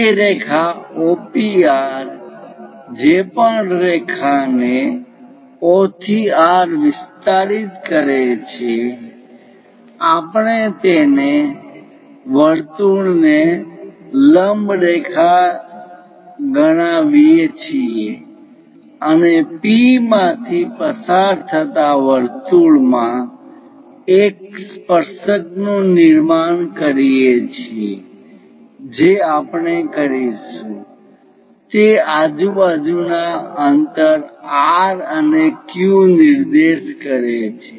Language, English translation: Gujarati, That line O, P, R whatever the line extended O to R we call normal to that circle and to construct a tangent to the circle passing through P what we do is identify the P point around that an equal distance R and Q points first we will identify